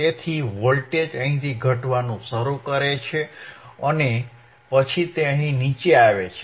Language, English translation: Gujarati, So, voltage starts attenuating where from here actually right and then it comes down here